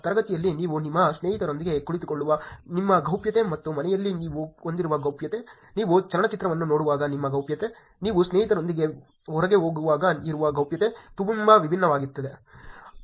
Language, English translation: Kannada, Your privacy in class that you are sitting with your friends and privacy that you have at home, the privacy that you have while you are watching movie, privacy that when you are going out with friends is very, very different